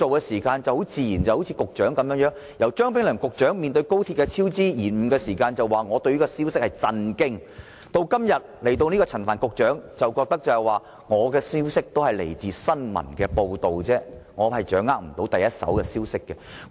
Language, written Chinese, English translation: Cantonese, 前局長張炳良被問到高鐵超支延誤時表示："我對這個消息感到震驚"；而現任局長陳帆則表示："我的消息是來自新聞報道，我掌握不到第一手消息"。, In response to a question on the cost overruns and delays of XRL former Secretary Anthony CHEUNG said I was shocked by the news; whereas the incumbent Secretary Frank CHAN said I learnt about the incident from news reports as I do not have first - hand news